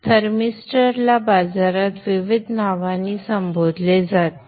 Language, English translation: Marathi, So this thermister is called by various names in the market